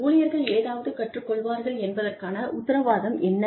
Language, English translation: Tamil, What is the guarantee that, you will learn something